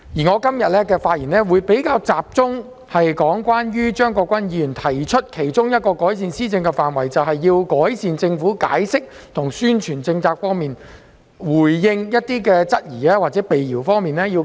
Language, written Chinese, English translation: Cantonese, 我今天的發言會比較集中論述張國鈞議員所提的其中一個改善施政的範疇，那就是改善政府解釋及宣傳政策、回應質疑與闢謠的能力。, My speech today will focus on one of the areas of improvement mentioned by Mr CHEUNG Kwok - kwan that is enhancing the capabilities of the Government in explaining and publicizing policies answering queries and refuting rumours